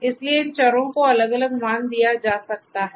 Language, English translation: Hindi, So, these variables they could be assigned different values